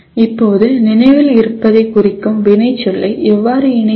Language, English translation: Tamil, Now, how do I associate a verb that signifies remembering